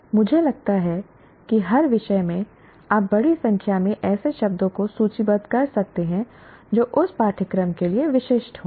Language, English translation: Hindi, I think every subject can list a large number of such terms which are specific to that course